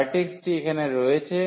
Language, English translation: Bengali, So, the vertex is here